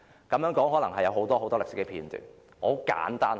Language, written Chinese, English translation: Cantonese, 這當中可能有很多歷史片段，我簡單地說。, There were many historical episodes in the process so let me cut the long story short